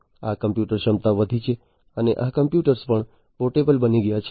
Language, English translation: Gujarati, So, this computing capacity has increased and these computers have also became become portable